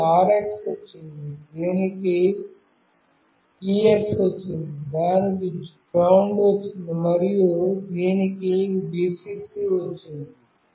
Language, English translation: Telugu, It has got an RX, it has got a TX, it has got a GND, and it has got a Vcc